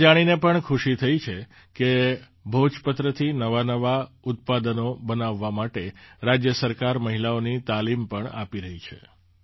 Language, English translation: Gujarati, I am also happy to know that the state government is also imparting training to women to make novel products from Bhojpatra